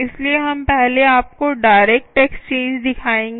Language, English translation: Hindi, so we will first show you the direct exchange